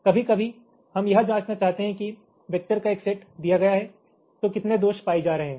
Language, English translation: Hindi, sometimes we may want to check that will, given a set of vectors, how many faults are getting detected